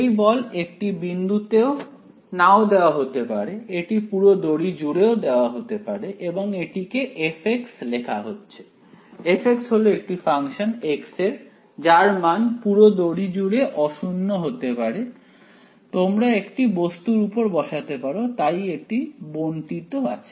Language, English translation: Bengali, That force need not be at a point it can be applied throughout and that is given by f of x; f of x is the is a function of x can be non zero throughout the string you could be have placed an object on it, so f is distributed right